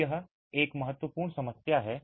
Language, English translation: Hindi, So, it is an important problem